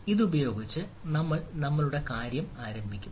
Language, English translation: Malayalam, so with this ah, we will start our thing